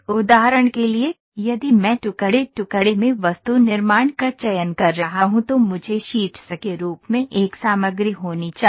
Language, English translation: Hindi, For instance if I am choosing laminated object manufacturing I should have a material in the form of sheets